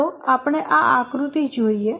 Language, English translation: Gujarati, Let's look at our first diagram